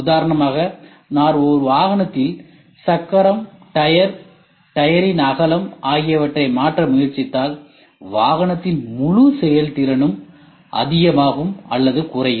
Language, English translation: Tamil, For example, if I try to change the wheel, the tyre, the width of the tyre then the entire performance of the vehicle goes higher or lower